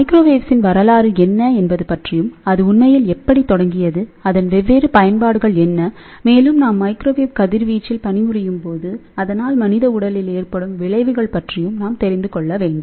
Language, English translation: Tamil, And what is the history of the microwaves, how it really started and what are the different applications and when we are working on microwave radiation, we should also know; what are the effects on the human body